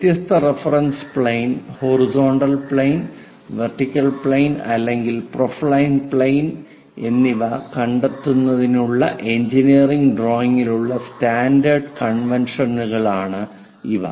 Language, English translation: Malayalam, These are the standard conventions for engineering drawing to locate different reference planes as horizontal plane, vertical plane side or profile planes